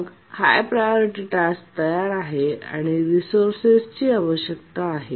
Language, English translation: Marathi, So, the high priority task is ready and needs the resource actually